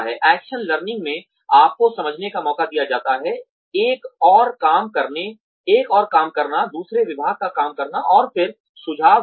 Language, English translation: Hindi, In action learning, you are given a chance to understand, another working, the working of another department, and then give suggestions